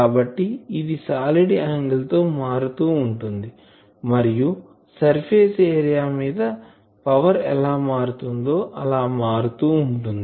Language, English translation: Telugu, So, this is solid angle variation and this is the on the surface area how the power is varying ok